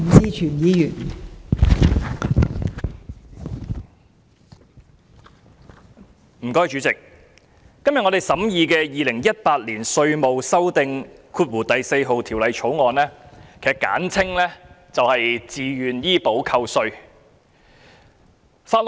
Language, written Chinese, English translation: Cantonese, 代理主席，今天審議的《2018年稅務條例草案》關乎自願醫保的扣稅安排。, Deputy President the Inland Revenue Amendment No . 4 Bill 2018 the Bill under scrutiny today is about the tax deduction arrangement under the Voluntary Health Insurance Scheme VHIS